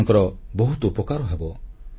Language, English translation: Odia, This will be a big help to them